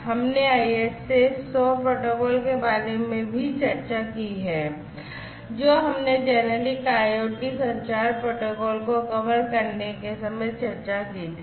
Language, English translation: Hindi, We have also discussed if you recall about the ISA 100 protocol, that we did at the time of covering the generic IoT communication protocols